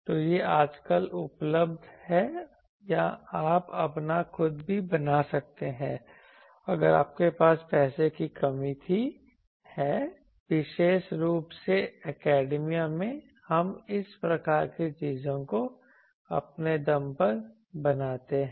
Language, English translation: Hindi, So, these are nowadays available or you can make your own also if you were running short of money; particularly in academia, we make this type of things on our own